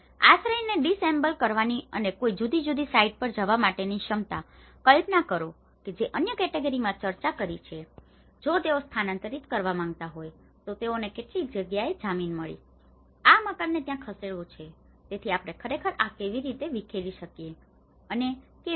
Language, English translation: Gujarati, Ability to disassemble the shelter and move to a different site, imagine in the other category which we discussed if they want to relocate, they found a land in some places, want to move this house there, so how we can actually dismantle this and how we can re fix the same thing